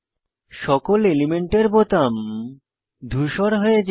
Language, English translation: Bengali, All element buttons turn to grey